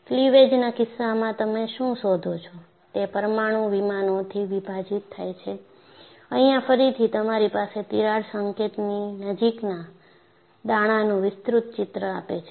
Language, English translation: Gujarati, So, what you find is, in the case of cleavage, it is splitting apart of atomic planes, and here again, you have a magnified picture of the grains near the crack tip